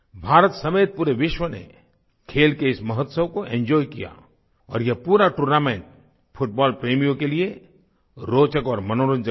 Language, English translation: Hindi, The whole world including India enjoyed this mega festival of sports and this whole tournament was both full of interest and entertainment for football lovers